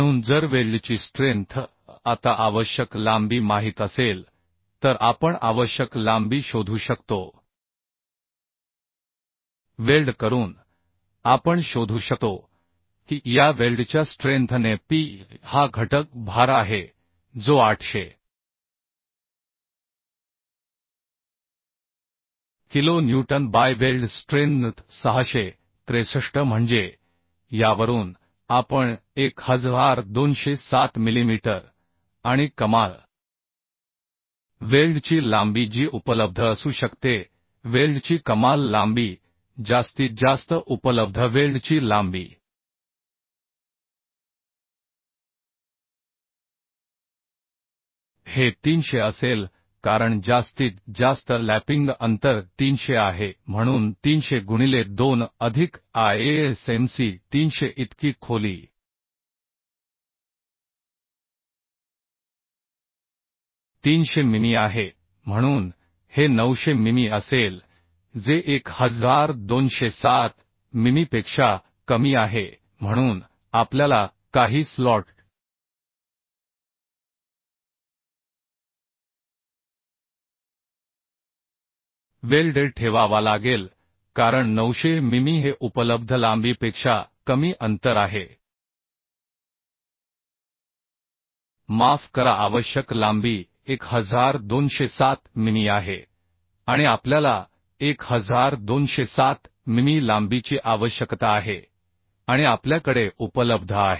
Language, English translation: Marathi, 2 so we can find out as 663 newton per millimetre right So if strength of weld is known now required length we can find out required length of weld we can find out that is P by this weld strength P is the factor load which is 800 kilonewton by weld strength 663 so from this we can find out 1207 millimetre And maximum weld length which can be available maximum weld length maximum available weld length this will be 300 as maximum over lapping distance is 300 so 300 into 2 plus ISMC300 so depth is 300 mm so this will be 900 mm which is less than 1207 mm so we have to put some slot weld because 900 mm is the distance which is less than the available length available sorry required length is 1207 mm and we need we need 1207 mm length and we have available 900 mm So extra length we need is additional length we have to this extra length we have to adjust that is 1207 minus 900 so 307 ok Now let us provide two slots we can provide some slots say two slot let us provide of width as we have seen from the codal provision minimum width will be 25 mm so 25 mm or 3 t 25 mm or 3 into t t is 7